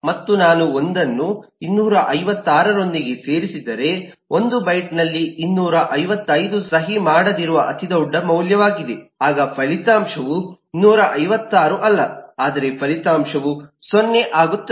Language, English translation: Kannada, and if I add 1 with 256, 255 eh, that is the largest possible value in 1 but unsigned then the result is not 256 but the result becomes 0